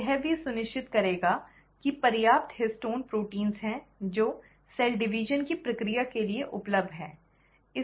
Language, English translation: Hindi, The cell will also ensure that there is a sufficient histone proteins which are available for the process of cell division to take place